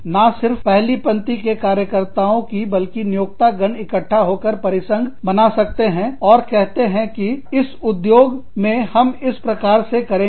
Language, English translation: Hindi, Not only the frontline workers, but the employers could get together, and form a confederation, and say, in this industry, this is the way, we will do it